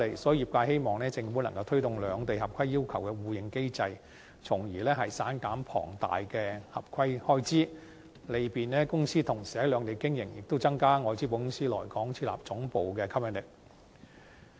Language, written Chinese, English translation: Cantonese, 所以，業界希望政府推動兩地合規要求的互認機制，從而減省龐大的合規開支，利便公司同時在兩地經營，亦增加外資保險公司來港設立地區總部的吸引力。, For this reason the sector hopes that the Government will promote a mechanism for mutual recognition of compliance requirements of the two places so as to save huge compliance expenses facilitate the operation of companies in the two places simultaneously and enhance our competitive edge to attract foreign - invested insurance companies to establish regional headquarters in Hong Kong